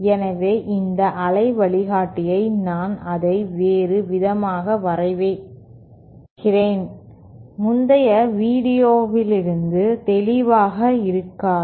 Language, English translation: Tamil, So, in this waveguide there are let me draw it in a different, might not be clear from the previous video